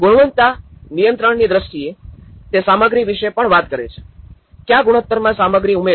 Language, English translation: Gujarati, In terms of quality control, it is also talks about the material, what are the ratios we have to include